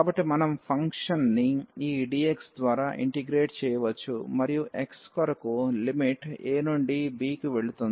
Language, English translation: Telugu, So, either we can integrate this function over this dx and the limit for x will go from a to b